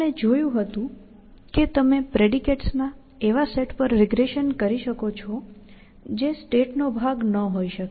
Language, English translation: Gujarati, We had seen that you could regress to a set of predicates, which could not have been part of a state